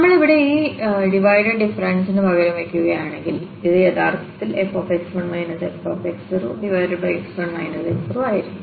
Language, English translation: Malayalam, Or if we substitute here this divided difference so, that was actually this f x 1 minus f x naught over x 1 minus x naught